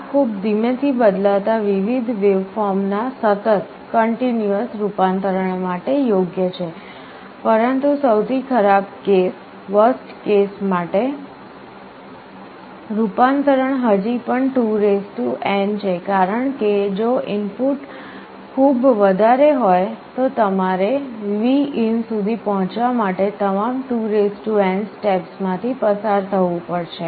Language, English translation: Gujarati, This is suitable for continuous conversion of very slowly varying waveform, but the worst case conversion is still 2n because if the input is very high you will have to count through all 2n steps to reach Vin